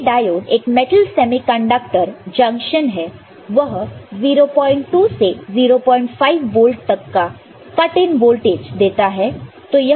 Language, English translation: Hindi, Schottky diode you know is a metal semiconductor junction and it can provide a cut in voltage in the range of 0